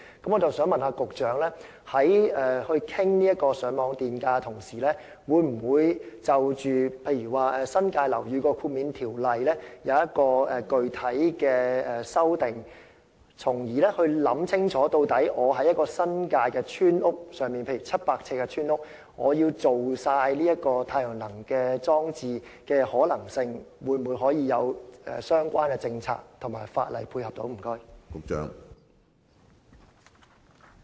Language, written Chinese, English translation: Cantonese, 我想問局長，在討論上網電價時，會否就新界樓宇豁免的條例作具體修訂，從而考慮清楚，例如若我想在新界一間面積為700呎的村屋中全面使用太陽能裝置的可行性，政府會否有相關政策和法例配合？, May I ask the Secretary whether any specific amendments will be proposed to the relevant legislation concerning NTEHs during the discussion of FiT so as to explore the possibility of for instance a comprehensive utilization of solar energy installations in a 700 sq ft village house? . Will the Government put in place any policies or legislation to go with the proposed scheme?